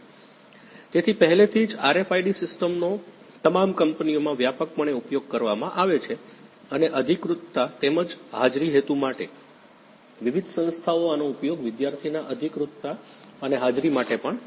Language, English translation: Gujarati, So, already RFID systems are widely used in all the companies and for authorization as well as attendance purposes, various institutes also use these for student authorization and attendance